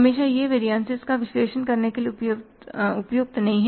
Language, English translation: Hindi, Always it is not worthwhile to analyze the variances